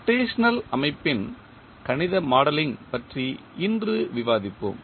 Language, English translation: Tamil, Today we will discuss about the mathematical modelling of rotational system